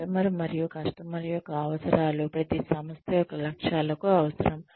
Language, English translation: Telugu, The customer and the customer's needs are essential to the goals of any organization